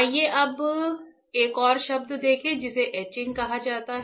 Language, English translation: Hindi, Now let us see another term called etching